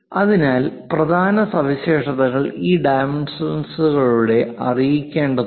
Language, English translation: Malayalam, So, main features has to be conveyed through these dimensions